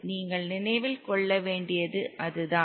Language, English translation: Tamil, That's the only thing you have to remember